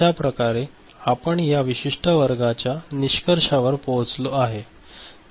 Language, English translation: Marathi, So, with this we come to the conclusion of this particular class